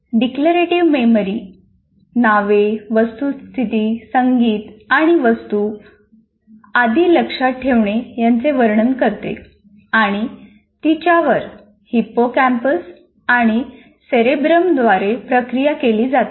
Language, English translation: Marathi, Declarative memory describes the remembering of names, facts, music, and objects, and is processed by hippocampus and cerebrum